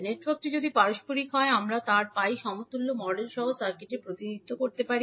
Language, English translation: Bengali, So, if the circuit is, if the network is reciprocal we can represent circuit with its pi equivalent model